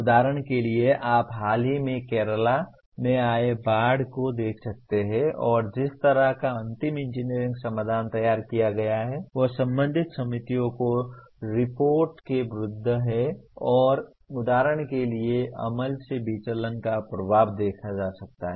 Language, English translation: Hindi, That is one can inspect for example you can look at the recent Kerala floods and the kind of final engineering solution that is produced was against the report of the concerned committees and one can see the amount of for example the impact of the deviations from of implemented solution to the suggested solution